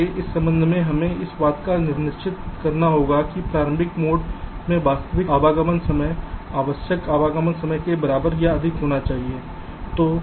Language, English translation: Hindi, so with respect to this, we will have to satisfy that the actual arrival time in the early mode must be greater than equal to the required arrival time